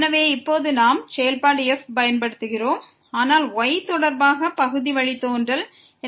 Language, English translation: Tamil, So now, we are using the function , but the partial derivative with respect to